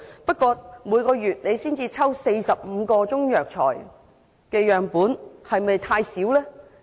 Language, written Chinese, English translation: Cantonese, 不過，每月只抽取45個中藥材樣本會否太少呢？, Nevertheless is the population of 45 samples of Chinese herbal medicines collected per month way too small?